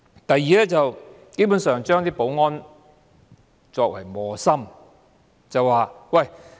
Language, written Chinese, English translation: Cantonese, 第二，基本上，把保安人員作為磨心。, Second basically the security officers are put in a difficult position